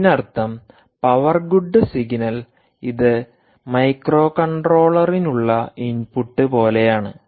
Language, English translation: Malayalam, it simply means that the power good signal, which is like an input to the microcontroller, is configured